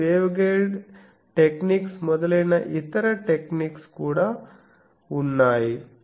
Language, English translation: Telugu, There are also other techniques some waveguide techniques etc